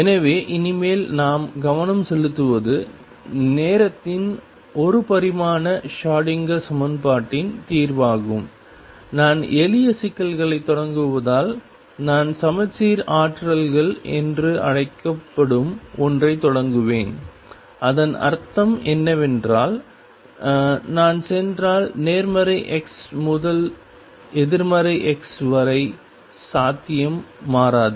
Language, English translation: Tamil, So, from now onward what we are concentrating on is the solution of the timing one dimensional Schrodinger equation and since I am starting the simple problems, I will start with something called the symmetric potentials and what I mean by that is that if I go from positive x to negative x; the potential does not change